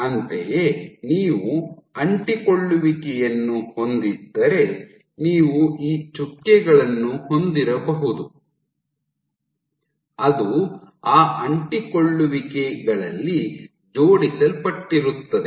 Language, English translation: Kannada, Similarly, if you have an adhesion you might have these dots which align at those adhesions